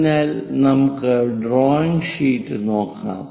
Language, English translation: Malayalam, So, let us look at the picture